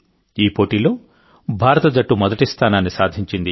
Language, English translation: Telugu, The Indian team has secured the first position in this tournament